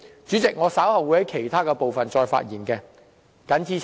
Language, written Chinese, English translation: Cantonese, 主席，我稍後會就其他部分再度發言。, President I will speak again on other issues later